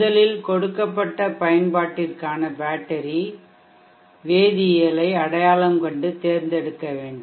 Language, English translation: Tamil, 1st we need to identify and select battery chemistry for the given application